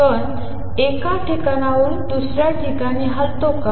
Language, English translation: Marathi, Is it a particle moving from one place to the other